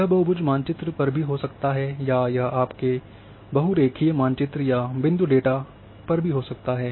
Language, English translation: Hindi, It may be on polygon maps it may be of your polyline map or even point data